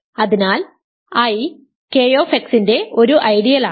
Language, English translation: Malayalam, So, R has four ideals